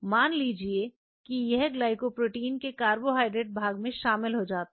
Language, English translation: Hindi, Suppose let it join the carbohydrate part of the glycoprotein something like this